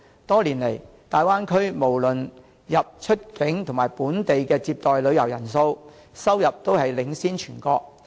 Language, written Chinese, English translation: Cantonese, 多年來，大灣區無論出入境及本地接待的旅遊人數、收入均領先全國。, Over the years the Bay Area have recorded the highest number of inboundoutbound tourists and locally received tourists in the country